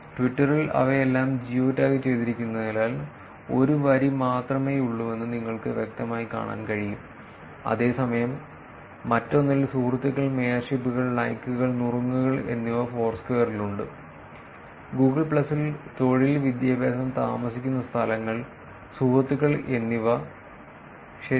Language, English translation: Malayalam, Given that Twitter has all of them as geo tagged you can clearly seen there is only one line, whereas in the other one there is, friends, mayorships, likes and tips that is in the Foursquare; in Google plus – employment, education, places lived and friends right